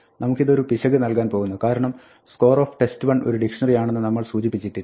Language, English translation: Malayalam, Now this is going to give us an error, because we have not told it that score test 1 is suppose to be a dictionary